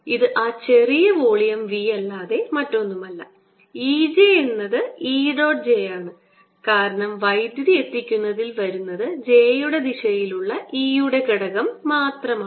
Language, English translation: Malayalam, v e j is e dot j, because the only thing that comes into delivering power is the component of e in the direction of j